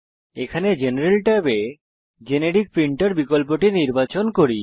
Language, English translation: Bengali, Here we select the Generic Printer option in General Tab